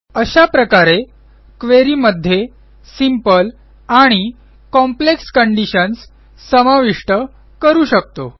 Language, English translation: Marathi, This is how we can introduce simple and complex conditions into our query